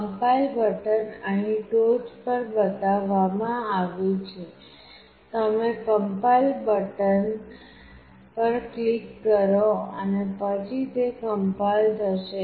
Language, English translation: Gujarati, The compile button is shown here at the top; you click on the compile button and then it will compile